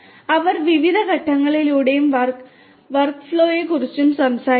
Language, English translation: Malayalam, They are talking about workflow in different phases